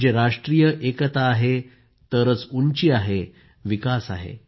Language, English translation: Marathi, That is, with national unity, the nation has stature and has development